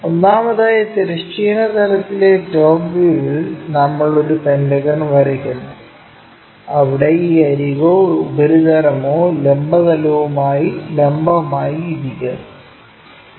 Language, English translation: Malayalam, First of all, in the top view on the horizontal plane we draw a pentagon, where one of this edge or surface is perpendicular to vertical plane